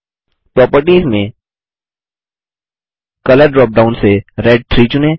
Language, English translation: Hindi, Under Properties, lets select Red 3 from the Color drop down